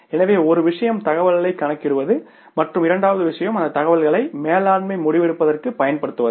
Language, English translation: Tamil, So, one thing is calculating the information and second thing is using that information for the management decision making